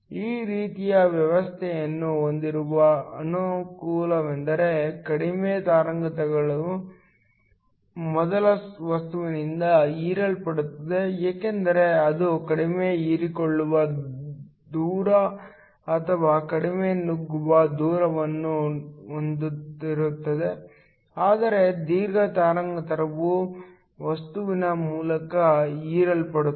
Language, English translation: Kannada, The advantage of having this type of arrangement is that the shorter wavelengths will get absorbed by the first material because it has a lower absorption distance or a lower penetration distance, while the longer wavelength will get absorbed by material through